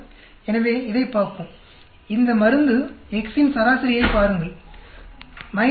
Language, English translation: Tamil, So, let us look at this; look at this drug X average its minus 5